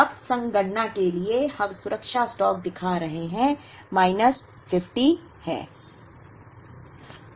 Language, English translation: Hindi, Now, for the sake of computation we are showing the safety stock, is minus 50